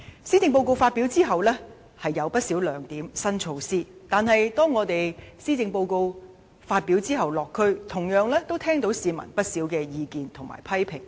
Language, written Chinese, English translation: Cantonese, 雖然施政報告有不少亮點和新措施，但在施政報告發表後，我們落區時也聽到市民不少的意見及批評。, Although the Policy Address contains many new strengths and new initiatives we still heard some adverse comments and criticisms from members of the public when we conducted local visits after the delivery of the Policy Address